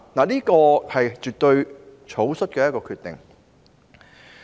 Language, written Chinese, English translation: Cantonese, 這絕對是草率的決定。, This definitely is a reckless decision